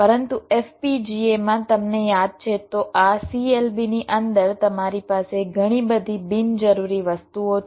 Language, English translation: Gujarati, but in fpga you recall, inside this clbs your have lot of unnecessary things